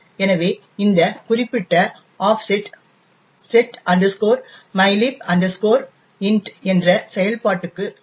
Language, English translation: Tamil, So, this particular offset corresponds to a function setmylib int